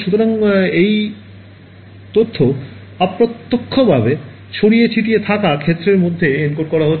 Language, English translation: Bengali, So, this information indirectly is being encoded into the scattered field